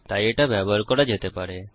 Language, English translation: Bengali, so it can be used